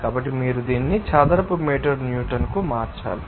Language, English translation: Telugu, So, you have to convert it to Newton per meter in square